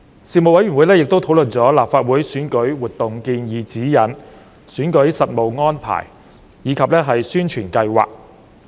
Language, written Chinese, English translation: Cantonese, 事務委員會亦討論了《立法會選舉活動建議指引》、選舉實務安排及宣傳計劃。, The Panel also discussed the Proposed Guidelines on Election - related Activities in respect of the Legislative Council Election and also the practical arrangements and publicity for the election